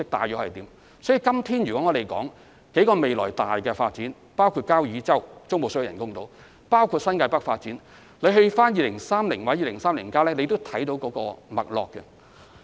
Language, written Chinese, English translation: Cantonese, 因此，今天談論的多項重大發展計劃，包括交椅洲中部水域人工島及新界北發展，均可在《香港2030》或《香港 2030+》看到脈絡。, Therefore a number of major development projects discussed today including the artificial islands around Kau Yi Chau in the Central Waters and the NTN Development can actually be found in Hong Kong 2030 or Hong Kong 2030